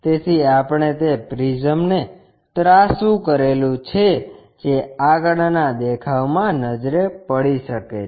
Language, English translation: Gujarati, So, we have tilted that prism which can be visible in the front view